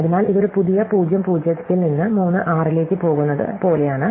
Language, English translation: Malayalam, So, this is like going from a new (0, 0) to (3, 6), right